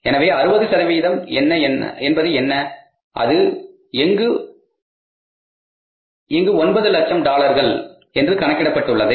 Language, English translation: Tamil, So, what is the 60% is that works out here as is the dollar, 9 lakhs